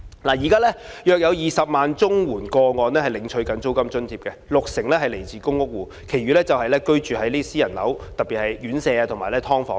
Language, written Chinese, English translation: Cantonese, 現時約有20萬宗綜援個案領取租金津貼，六成來自公屋戶，其餘則居於私人樓宇，特別是院舍或"劏房"。, At present there are about 200 000 cases of CSSA households receiving the rent allowance with 60 % of them being tenants in public rental housing PRH and the rest living in private properties especially residential care homes and subdivided units